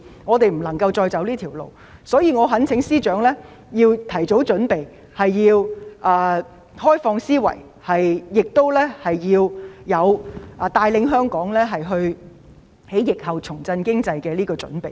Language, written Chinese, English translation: Cantonese, 我們不能再走這條路，所以我懇請司長要提早準備，開放思維，作出帶領香港在疫後重振經濟的準備。, We cannot go along this path anymore so I urge the Financial Secretary to make early preparation have an open mind and be prepared to lead Hong Kong to revive its economy after the epidemic